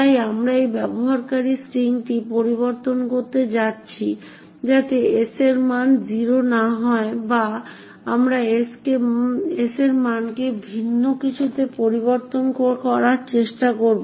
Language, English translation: Bengali, So we are going to modify this user string so that the value of s is not 0 or rather we will try to change the value of s to something different